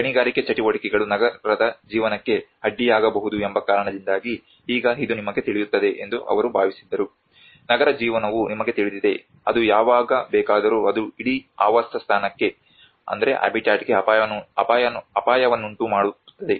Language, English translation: Kannada, So now they thought that this is going to you know because the mining activities may hamper the living of the city, you know the city life it may anytime it can bring danger to that whole habitat